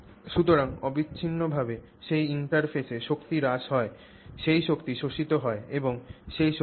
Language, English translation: Bengali, So there is continuously there there is energy loss at that interface, that energy gets absorbed and what is that energy